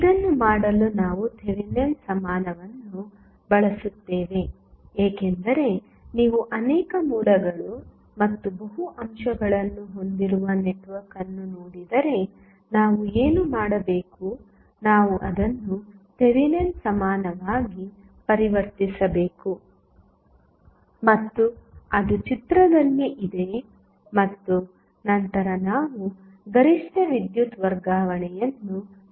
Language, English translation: Kannada, So, to do this we use Thevenin equivalent, because, if you see the network, which may be having multiple sources and multiple elements, what we have to do we have to convert it into the Thevenin equivalent which is there in this in the figure and then we can analyze the maximum power transfer